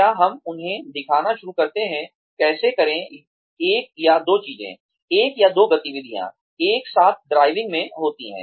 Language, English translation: Hindi, Do we start showing them, how to do, one or two things, one or two activities, in driving together